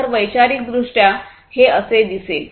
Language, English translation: Marathi, So, conceptually it would look like this